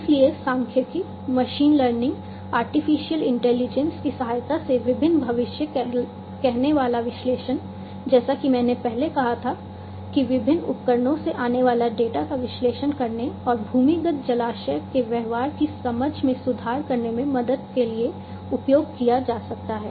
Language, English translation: Hindi, So, different predictive analytics with the help of statistics machine learning artificial intelligence, as I said before can be used to analyze the incoming data from different devices and helping in improving the understanding of the behavior of the underground reservoir